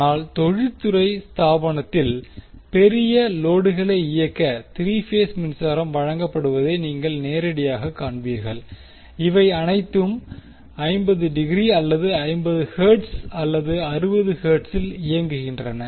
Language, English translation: Tamil, But in industrial establishment, you will directly see that 3 phase power supply is given to run the big loads and all these operating either at 50 degree or 50 hertz or 60 hertz